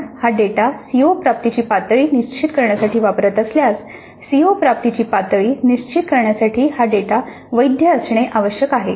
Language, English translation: Marathi, If we are using this data to determine the COO attainment levels, really this data must be valid for determining the CO attainment level